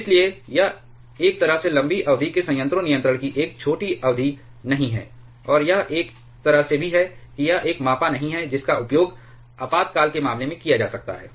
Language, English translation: Hindi, Therefore, it is in a way method of long term reactor control not a short term one or it is also in a way it is not a measured which can be used under in case of emergency